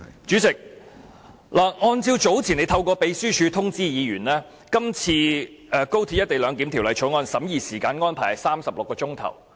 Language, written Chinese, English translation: Cantonese, 主席，早前你曾透過秘書處通知議員，今次《廣深港高鐵條例草案》的審議時間安排是36小時。, President earlier you notified Members through the Secretariat that 36 hours have been allocated for the scrutiny of the Guangzhou - Shenzhen - Hong Kong Express Rail Link Co - location Bill this time